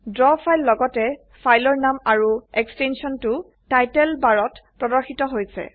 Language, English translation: Assamese, The Draw file with the file name and the extension is displayed in the Title bar